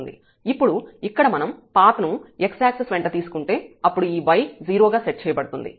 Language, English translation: Telugu, And now if we take path here along the x axis; that means, the delta y this y will be set to 0